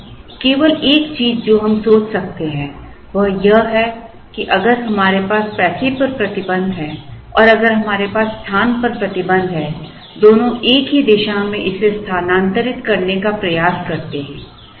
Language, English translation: Hindi, So, the only thing that we could think, in terms of is if we have a restriction on the money and if we have a restriction on the space both try to move it in the same direction